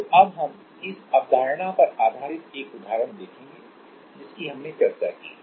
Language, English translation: Hindi, So, now we will see one example based on the concept whatever we have discussed